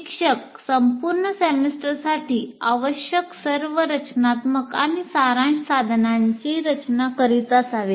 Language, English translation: Marathi, So the instructor should be designing all formative and summative instruments needed for the entire semester